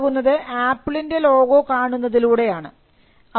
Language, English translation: Malayalam, Now, all this comes by just looking at the apple logo